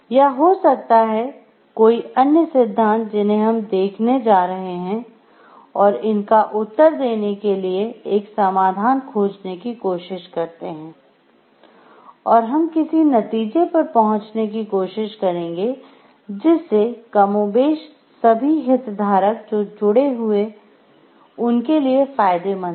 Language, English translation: Hindi, Or maybe other theories that we are going to visit, and try to find out a solution to answer these dilemmas so that what we come to the conclusion is more or less beneficial to everyone to all the stakeholders which are connected